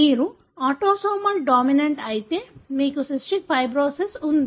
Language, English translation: Telugu, If you are autosomal dominant you will have cystic fibrosis